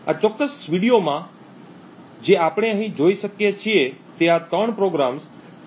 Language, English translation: Gujarati, S what we see here is that there are in fact 3 programs T0